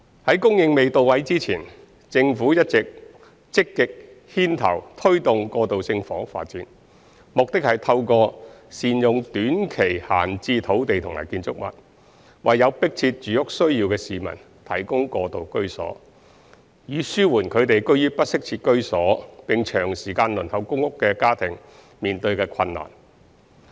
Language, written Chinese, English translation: Cantonese, 在供應未到位之前，政府一直積極牽頭推動過渡性房屋發展，目的是透過善用短期閒置土地及建築物，為有迫切住屋需要的市民提供過渡居所，以紓緩居於不適切住屋並長時間輪候公屋的家庭面對的困難。, When the relevant housing supply is not yet available the Government has been actively taking forward the implementation of transitional housing through better use of short term vacant land and buildings with a view to providing transitional housing to people with pressing housing needs . This will alleviate the hardship faced by families living in inadequate housing and have been waiting for PRH for a long time